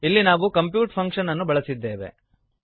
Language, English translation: Kannada, Here we have used the compute function